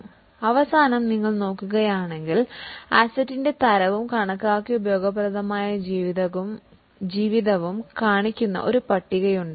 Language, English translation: Malayalam, Now, in the end if you look there is a table which is showing the type of the asset and estimated useful life